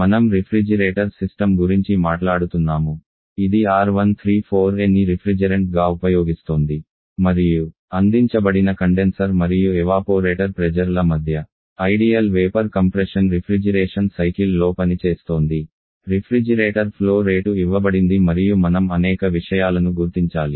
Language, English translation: Telugu, So let us now she we can see complete numerical example A very simple one area talking refrigeration system, which is R134 as a refrigerant and is operating on an ideal vapour compression Refrigeration cycle between air conditioner water pressures given refrigerator flow rate is given and we have to identify several things